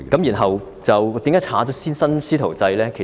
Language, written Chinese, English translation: Cantonese, 然後，為甚麼會刪去新"師徒制"呢？, And then why do I have to delete the new mentorship approach?